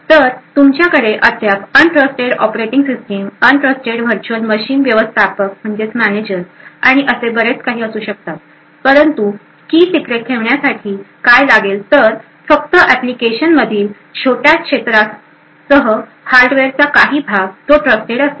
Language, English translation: Marathi, So, you could still have an untrusted operating system, untrusted virtual machine managers and so on but what is required keep the key secret is just that the hardware a portion of the hardware is trusted along with small areas of the application